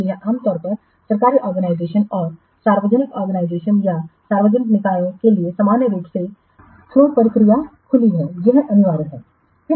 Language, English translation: Hindi, So, for normally government organizations and public organizations or public bodies, open tendering process normally it is compulsory